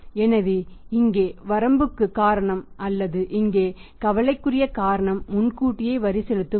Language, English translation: Tamil, So, here the cause of limitation or maybe the cause of concern here is the advance tax payment system